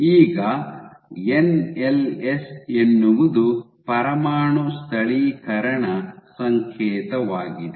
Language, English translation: Kannada, Now, NLS is nuclear localization signal ok